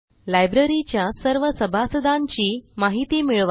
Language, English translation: Marathi, Get information about all the members in the Library